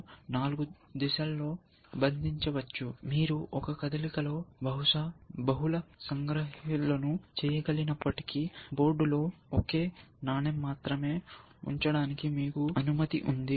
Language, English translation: Telugu, So, you can captured in four directions, and if you can make multiple captures in one move, but you can, you allow to place only one coin on the board